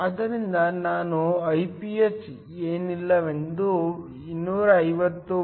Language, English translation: Kannada, So, Iph is nothing but 250 watts m 2